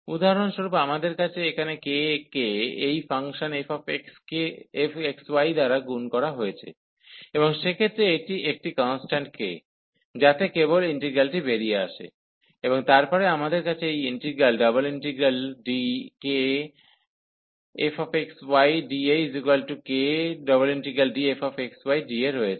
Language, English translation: Bengali, So, for example we have here the k multiplied by this function f x, y and in that case this is a constant k, so that can just come out the integral, and then we have this integral d f x, y d A